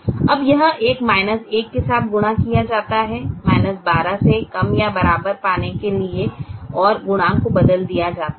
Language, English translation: Hindi, now that is multiplied with a minus one to get a less than equal to minus twelve, and the coefficients are changed